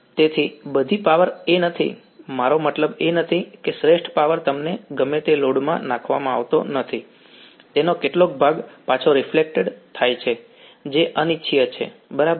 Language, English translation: Gujarati, Right so, all the power is not I mean the optimal power is not dumped into the whatever load you want some of its gets reflected back which is undesirable right